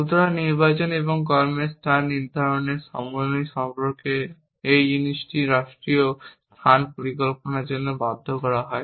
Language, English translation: Bengali, So, this thing about combining the selection and the placement of action is forced in state space planning